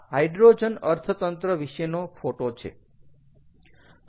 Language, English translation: Gujarati, lets look at the history of hydrogen economy